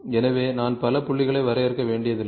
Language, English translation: Tamil, So, I do not have to define so, many points